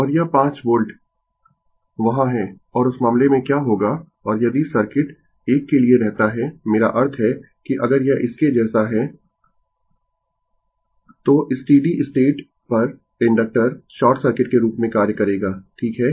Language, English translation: Hindi, And this 5 volt is there and in that case what will happen and if circuit remains for a I mean if it is like this then at steady state, the inductor will act as a short circuit right